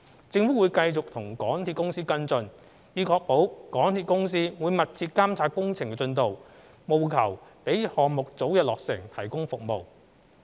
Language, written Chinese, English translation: Cantonese, 政府會繼續與港鐵公司跟進，以確保港鐵公司會密切監察工程進度，務求讓項目早日落成提供服務。, The Government will continue to follow up with MTRCL to ensure that it will closely monitor the works progress with a view to completing the project for providing services as soon as possible